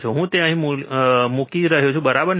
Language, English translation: Gujarati, So, I am placing it here, right